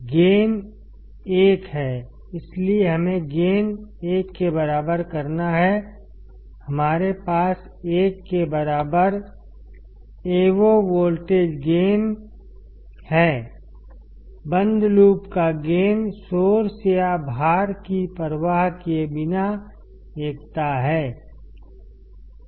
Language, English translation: Hindi, Gain is 1; so, we to have make the gain equal to 1, we have Avo voltage gain equal to 1; the closed loop gain is unity regardless of the source or the load